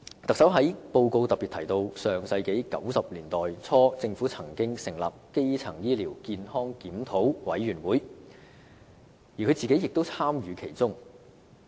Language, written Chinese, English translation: Cantonese, 特首在施政報告中特別提到，在上世紀90年代初，政府曾成立基層醫療健康檢討委員會，特首本人亦有參與其中。, In the Policy Address the Chief Executive particularly mentioned that in the early 1990s the Government established the Working Party on Primary Health Care which saw involvement of the Chief Executive herself too